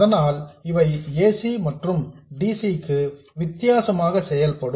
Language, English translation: Tamil, So that means that essentially they behave differently for AC and DC